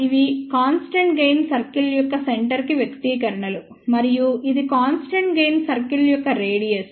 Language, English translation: Telugu, These are the expressions for centre of the constant gain circle and this is the radius of the constant gain circle